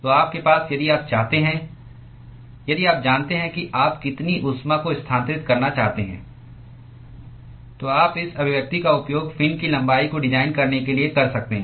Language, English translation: Hindi, if you know what is the total amount of heat that you want to transfer, then you could use this expression in order to design the length of the fin